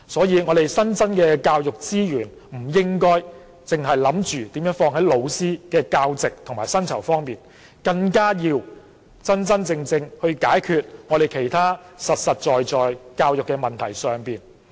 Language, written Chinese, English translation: Cantonese, 因此，新增的教育資源，不應只是投放在增加教師的教席和薪酬上，更應用於真正解決其他實在的教育問題。, Therefore the new education resources should not be allocated only to increasing the number of teaching posts and teachers pay but should also be used to really solve other practical problems in education